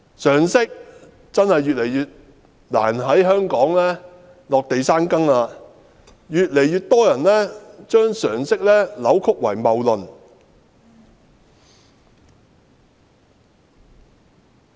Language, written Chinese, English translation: Cantonese, 常識真的越來越難在香港落地生根，越來越多人將常識扭曲為謬論。, It has become increasingly difficult for common sense to take root in Hong Kong because more and more people have turned common sense into fallacious arguments